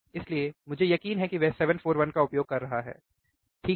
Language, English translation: Hindi, So, I am sure that he is using 741, alright